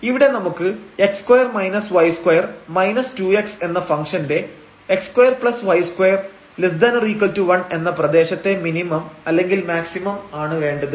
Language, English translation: Malayalam, So, we have the maximum minimum of this function x square minus y square minus 2 x in the region here, x square plus y square less than equal to 1